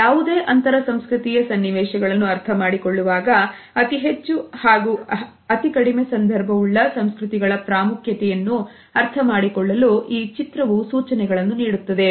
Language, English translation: Kannada, This diagram suggests how the significance of low and high context culture is important for us to understand in any intercultural situations